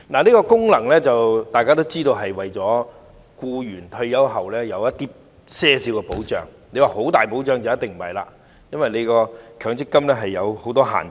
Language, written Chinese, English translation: Cantonese, 大家也知道，強積金制度的功能是為僱員退休後提供一些保障，如果要說是很大的保障，就一定不是，因為強積金制度有很多限制。, As we all know the function of the MPF System is to provide some retirement protection for employees . We cannot say that it is a very comprehensive protection because the MPF System has many restrictions